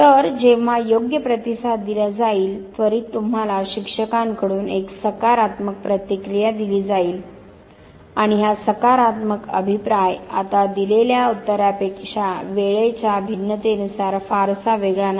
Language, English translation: Marathi, So, the moment the correct response is given, immediately you are given a positive feedback by the teacher and this positive feedback does not now differ too much in terms of time difference from the answer that you would have given